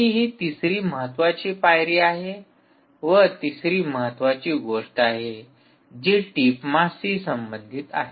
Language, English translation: Marathi, there is also a third important thing, and the third important thing is related to the tip mass